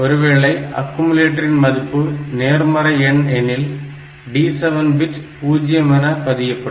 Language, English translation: Tamil, And the result if the result is positive then this D 7 will be 0